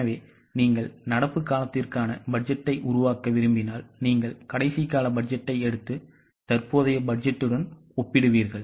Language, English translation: Tamil, So when you want to make budget for the current period you will take the last period's budget and then compare that with the current budget